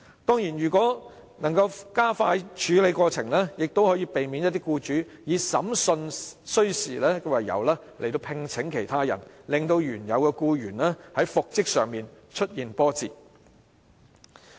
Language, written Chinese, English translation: Cantonese, 當然，如能加快處理有關訴訟，亦可避免一些僱主以審訊需時為由而聘請其他人，令原有僱員在復職上出現波折。, Certainly if the proceedings can be processed more expeditiously it may also prevent the employer from engaging a replacement for the reason of prolonged trial thus causing obstacles to the reinstatement of the employee